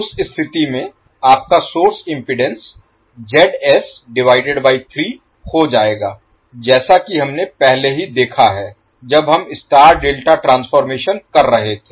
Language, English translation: Hindi, In that case your source impedance will be become Zs by 3 as we have already seen when we were doing the star delta transformation